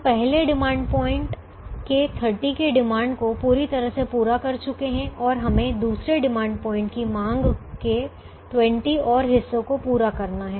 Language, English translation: Hindi, we have completely met the demand of thirty of the first demand point and we have to meet twenty more of the demand of the second demand point